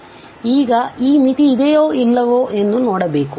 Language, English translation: Kannada, So, now we will look whether this limit exists or not